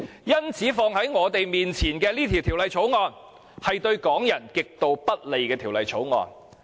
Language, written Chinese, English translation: Cantonese, 因此，放在我們面前的是對港人極度不利的《條例草案》。, For that reason the Bill in front of us is extremely unfavourable to Hong Kong people